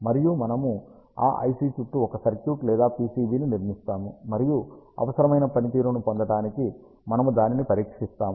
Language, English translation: Telugu, And we build a circuit or PCB around that IC, and we test it to get the required performance